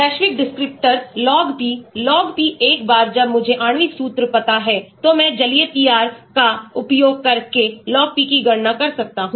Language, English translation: Hindi, Global descriptors; log P , log P once I know the molecular formula, I can calculate the log P using aqueous PR